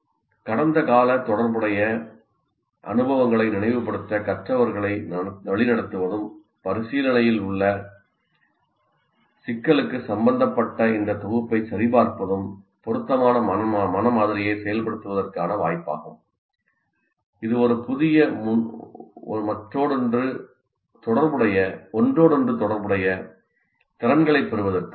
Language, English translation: Tamil, Directing learners to recall past relevant experience and checking this recollection for relevance to the problem under consideration are more likely to activate appropriate mental model that facilitates the acquisition of new set of interrelated skills